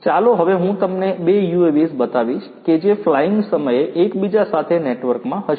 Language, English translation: Gujarati, Let me now show you two UAVs, which are networked with each other flying